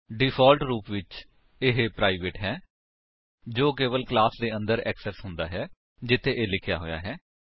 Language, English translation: Punjabi, By default, it is private, that is accessible only within the class where it is written